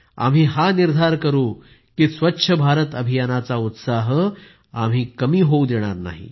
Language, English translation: Marathi, Come, let us take a pledge that we will not let the enthusiasm of Swachh Bharat Abhiyan diminish